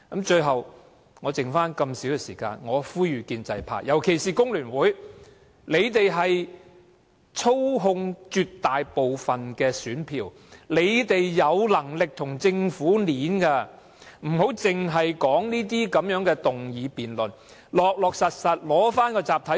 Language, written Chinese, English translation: Cantonese, 最後，在餘下那麼少的發言時間中，我呼籲建制派，尤其是香港工會聯合會，你們操控了絕大部分的選票，有能力跟政府議價，不要只在這些議案辯論中討論，要實實在在取回集體談判權......, At last in the remaining little speaking time I implore the pro - establishment camp especially the Federation of Trade Unions which controls most of the votes and has the bargaining power to negotiate with the Government to not only engage in discussion in the debate of such motions but realistically reclaim the right to collective bargaining